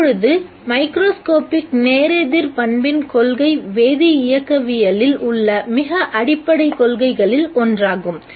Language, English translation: Tamil, Now the principle of microscopic reversibility is one of the most fundamental principles in chemical kinetics